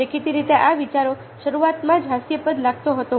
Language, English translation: Gujarati, so it apparently the idea looked ridiculous at right at the beginning